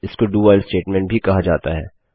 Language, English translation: Hindi, Its also called the DO WHILE statement